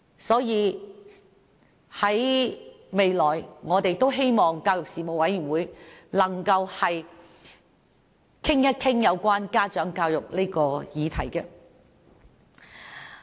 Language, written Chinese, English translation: Cantonese, 所以，我們希望教育事務委員會未來能夠討論家長教育的議題。, Therefore we hope that the Panel on Education will discuss issues relating to parent education